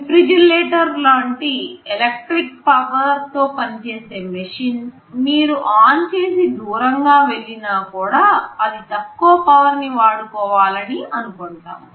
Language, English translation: Telugu, Well even for machines which operate from electric power, like a refrigerator if you put it on and go away, it is expected that it will consume very low power